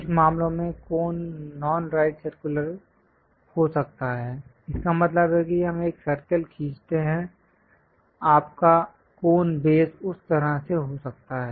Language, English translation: Hindi, In certain cases cones might be non right circular; that means let us draw a circle, your cone base might be in that way